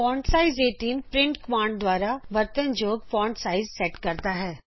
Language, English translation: Punjabi, fontsize 18 sets the font size used by print command